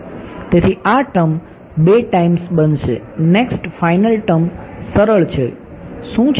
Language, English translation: Gujarati, So, this term will be become 2 times right; next final term is easy it is what